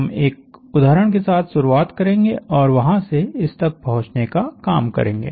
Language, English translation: Hindi, So, we will start; we will take an example and work a way through there